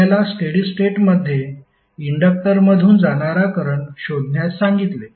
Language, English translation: Marathi, If you are asked to find the steady state current through inductor